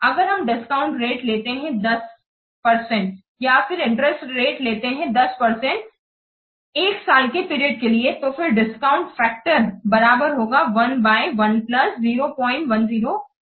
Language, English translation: Hindi, If you will take the discount rate as 10% or the interest rate at 10% and one year period for one year period, the discount factor is equal 1 by 1 plus this much 0